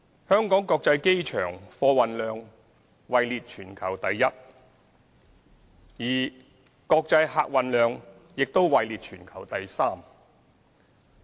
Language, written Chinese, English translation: Cantonese, 香港國際機場貨運量位列全球第一，而國際客運量亦位列全球第三。, The Hong Kong International Airport ranked first in the world in terms of freight volume and ranked third in the world in terms of international passenger throughput